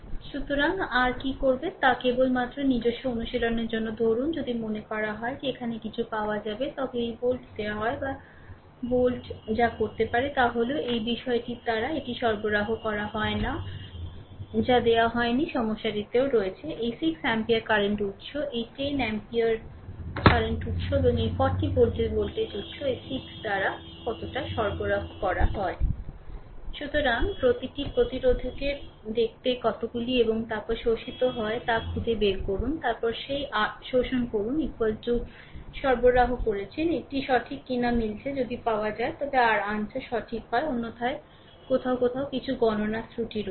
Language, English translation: Bengali, So, what you will do is for your just for your own practice suppose if it is suppose something is here it is given these volt or that volt right what you can do is, for your ah this thing you find out how much power is supplied by the this is not given in the problem I have also, but I have also not solved let find out how much power is supplied by this 6 this 6 ampere ah current source, this 10 ampere current source, and this 40 volt voltage source right